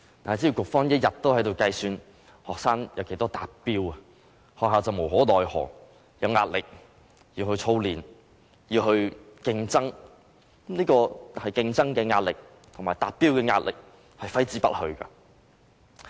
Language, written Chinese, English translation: Cantonese, 但是，只要局方一天在計算學生的達標率，學校便無可奈何，有壓力要操練、要競爭，這種競爭的壓力和達標的壓力揮之不去。, Nevertheless as long as the Education Bureau will take into consideration the attainment rates of students schools will have no choice but drill students to compete under pressure . This kind of pressure to compete and attain the standards required cannot be eliminated